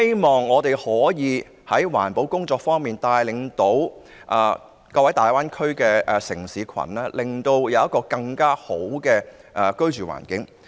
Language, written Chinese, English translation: Cantonese, 在環保工作方面，我希望香港可以帶領大灣區各個城市，讓大家享有更佳的居住環境。, the Greater Bay Area to enhance air quality . In respect of environmental protection I hope that Hong Kong can lead the cities in the Greater Bay Area to provide a better living environment